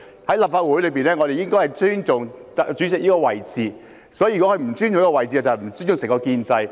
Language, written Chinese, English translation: Cantonese, 在立法會上，我們應尊重主席這位置，如果他不尊重這個位置，即不尊重整個建制。, In the Legislative Council we should respect the Presidents position . If he does not respect that position he is not giving respect to the establishment as a whole